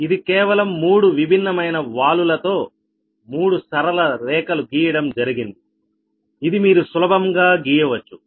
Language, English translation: Telugu, three different straight lines have been drawn with three different slopes, right, and that you can easily make it